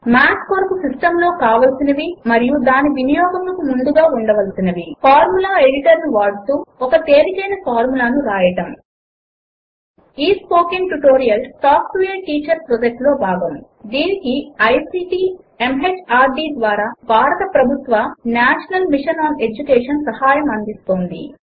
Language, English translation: Telugu, System requirements and Prerequisites for using Math Using the Formula Editor Writing a simple formula Spoken Tutorial Project is a part of the Talk to a Teacher project, supported by the National Mission on Education through ICT, MHRD, Government of India